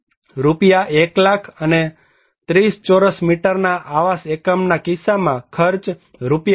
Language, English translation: Gujarati, 1 lakh in case of 40 square meter dwelling unit and Rs